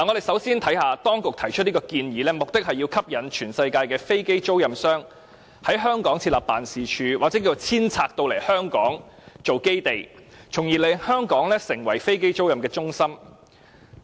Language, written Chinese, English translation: Cantonese, 首先，我們看看當局提出這項建議，目的是要吸引全世界的飛機租賃商，在香港設立辦事處或遷拆總部往香港，從而令香港成為飛機租賃的中心。, First we can see that the Governments proposal aims to induce aircraft lessors all over the world to set up offices here or to relocate their headquarters to Hong Kong so that Hong Kong can become an aircraft leasing hub